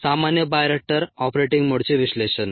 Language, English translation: Marathi, analysis of common bioreactor operating modes